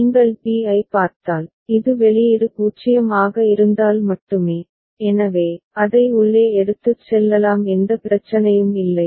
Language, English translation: Tamil, And if you see for b so this is, only case where the output is 0, so, we can take it inside there is no problem